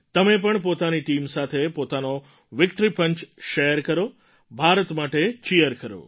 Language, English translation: Gujarati, Do share your Victory Punch with your team…Cheer for India